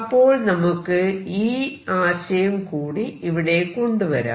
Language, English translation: Malayalam, So, let me introduce that idea now